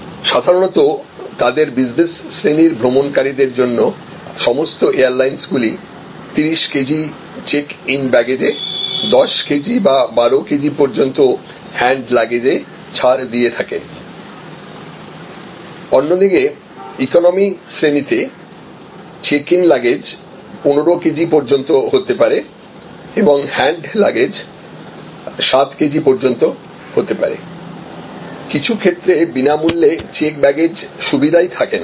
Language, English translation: Bengali, Normally, all airlines for their business class travelers will provide 30 kilo gram of checking baggage allowance, 10 kg or 12 kg of hand luggage allowance, whereas the economic class will have may be 15 kg of checking luggage allowance and may be 7 kg of carry on allowance, in some cases there is no checking package, free checking baggage facility